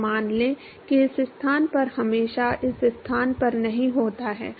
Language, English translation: Hindi, So, let us say at this location is not always at this location